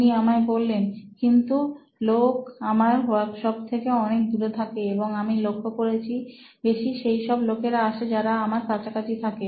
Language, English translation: Bengali, He told me well, some of them live very far away from where I have my workshop and I noticed that only people who live close by, they visit me often